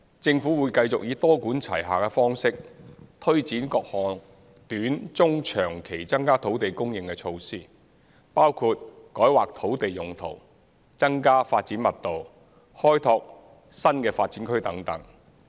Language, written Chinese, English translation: Cantonese, 政府會繼續以多管齊下的方式，推展各項短、中、長期增加土地供應的措施，包括改劃土地用途、增加發展密度、開拓新發展區等。, The Government will continue to adopt a multi - pronged approach to increase land supply in the short medium and long term through measures like rezoning exercises increasing development intensity developing new development areas etc